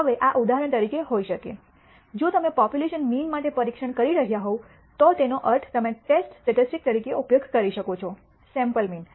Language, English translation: Gujarati, Now, this could be for example, if you are testing for the population mean you may use as the test statistic, the sample mean